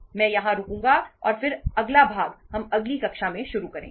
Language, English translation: Hindi, Iíll stop here and then next part weíll start in the next class